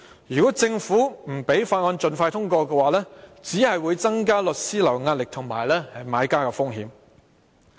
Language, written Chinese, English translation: Cantonese, 如果政府不讓《條例草案》盡快通過，只會增加律師行的壓力和買家的風險。, If the Government does not arrange the expeditious passage of the Bill the pressure on law firms will increase and buyers have to bear higher risks